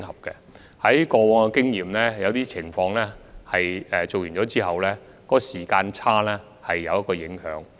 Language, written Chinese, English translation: Cantonese, 根據過往經驗，在某些情況下，這對完成研究的時間差距會有一定影響。, Past experiences reveal that under some circumstances there will be certain implications on the timing of completing the study